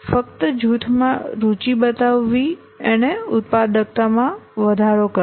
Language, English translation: Gujarati, Simply showing an interest in a group increased it productivity